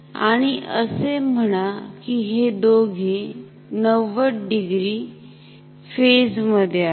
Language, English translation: Marathi, So, this, these are the two currents, they are 90 degree out of phase